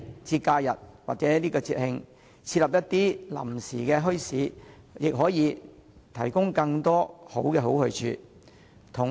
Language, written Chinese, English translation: Cantonese, 在假日和節慶，設立一些臨時墟市也可以為市民提供更多好去處。, Temporary bazaars set up during holidays and festivals will also increase the number of good places to visit for members of the public